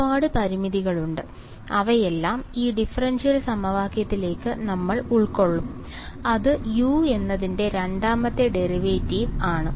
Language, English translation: Malayalam, Lots of constraints are there, we will absorb all of those into this differential equation, which tells me that second derivative of u